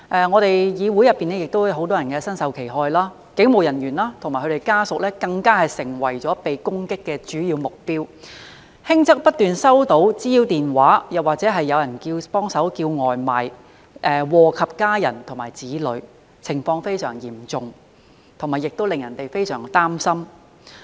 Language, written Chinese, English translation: Cantonese, 我們議會內亦有很多人身受其害，警務人員及其家屬更成為被攻擊的主要目標，輕則不斷收到滋擾電話，或是有人"幫忙叫外賣"，禍及家人和子女，情況非常嚴重，亦令人感到非常擔心。, Many in our legislature have fallen victim themselves and police officers and their family members have even become the main target of attack . In some less serious cases they have received harassing phone calls persistently or takeaways have been ordered for them . Their families and children have also been affected